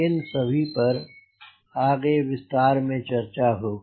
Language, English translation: Hindi, so all those details we will be talking later